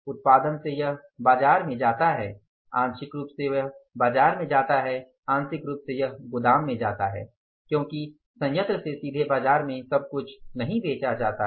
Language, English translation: Hindi, From the production it goes to the market, partly it goes to the market, partly it goes to the warehouse because everything is not sold in the market straightway from the plant